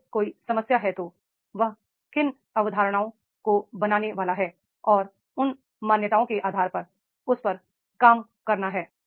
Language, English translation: Hindi, If there is a problem then what assumptions he are supposed to make and on basis of the assumptions he has to work on that